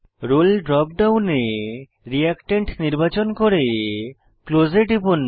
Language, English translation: Bengali, In the Role drop down, select Reactant and click on Close